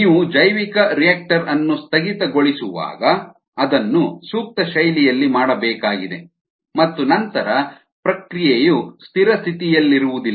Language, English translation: Kannada, when you shutdown the bioreactor it needs to be done in an appropriate fashion and then the process will not be a steady state